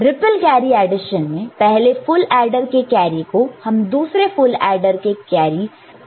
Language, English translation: Hindi, In ripple carry addition, carry output of one full adder is connected as carry input of the next full adder